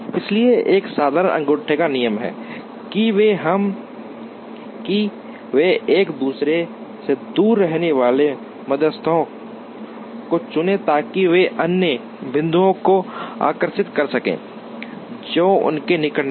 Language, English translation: Hindi, So, a simple thumb rule is to choose medians that are far away from each other so that, they can attract other points, which are nearer to them